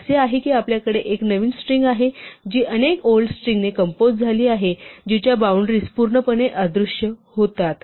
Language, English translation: Marathi, So, it is as though you have one new string which is composed of many old strings whose boundaries disappear completely